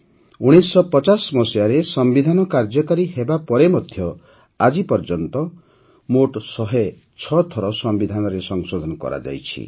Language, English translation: Odia, Even after the Constitution came into force in 1950, till this day, a total of 106 Amendments have been carried out in the Constitution